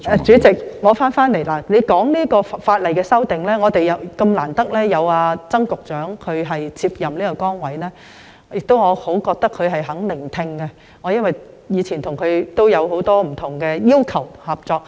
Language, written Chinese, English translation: Cantonese, 主席提到修訂法例，我們很難得有曾局長接任這崗位，而我認為他十分願意聆聽，因為以往我曾向他提出不少要求，亦曾經合作。, The President mentioned the legislative amendments; we are happy to have Secretary Erick TSANG taking up this post . In my opinion he is a very good listener because in the past I had put forward numerous requests to him and we had worked together